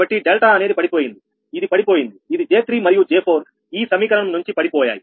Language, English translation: Telugu, so delta, this is dropped, this is dropped, this one, j three and j four dropped from this equation